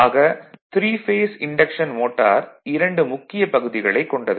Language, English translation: Tamil, So, the 3 phase induction motor has 2 main parts